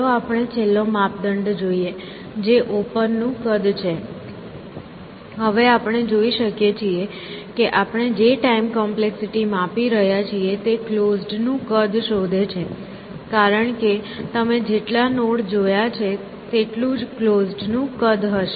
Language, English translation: Gujarati, Let us look at the last criteria, which is size of open, now we can see that, this time complexity the way we are measuring it is in some sense, measure of the size of closed, because the number of nodes that you have seen, will be the size of closed essentially